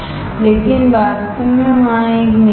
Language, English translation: Hindi, But actually there is a nickel